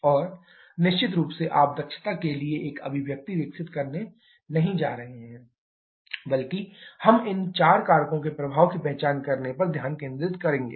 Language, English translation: Hindi, And of course, you are not going to develop an expression for efficiency rather we shall be focusing on identifying the effect of all these four factors